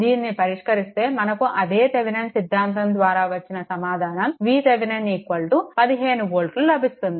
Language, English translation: Telugu, After solving this, you will get same result, V Thevenin is equal to 15 volt right